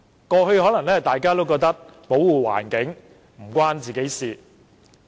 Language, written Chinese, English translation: Cantonese, 過去大家可能覺得，環保與自己無關。, In the past we might think that environmental protection had nothing to do with us